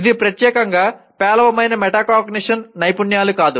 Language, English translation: Telugu, It would not be exclusively poor metacognition skills